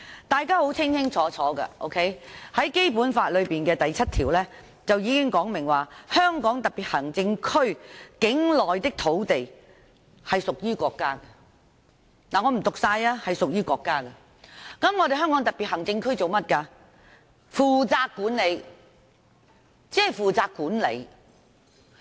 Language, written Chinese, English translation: Cantonese, 大家都清楚，《基本法》第七條訂明，香港特別行政區境內的土地屬於國家所有，由香港特別行政區政府負責管理。, As we all know Article 7 of the Basic Law stipulates that the land within the Hong Kong Special Administrative Region SAR shall be State property and the Government of the Hong Kong Special Administrative Region shall be responsible for management